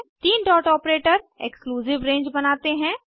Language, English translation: Hindi, (...) three dot operator creates an exclusive range